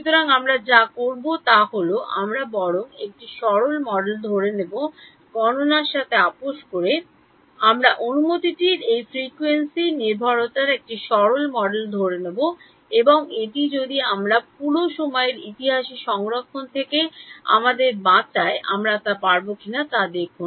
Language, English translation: Bengali, So, what we will do is we will assume a simplistic model rather than compromising on the calculation we will assume a simplistic model of this frequency dependence of permittivity and see if we can if that saves us from saving the entire time history